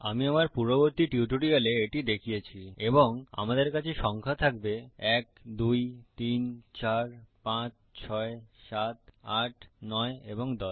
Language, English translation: Bengali, We now have to create these Ive shown you this in my earlier tutorials and well have the numbers 1 2 3 4 5 6 7 8 9 and 10 Ok